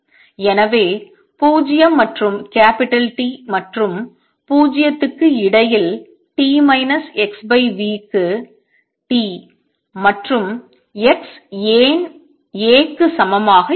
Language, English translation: Tamil, So, why t and x would be equal to A for t minus x over v between 0 and T and 0 otherwise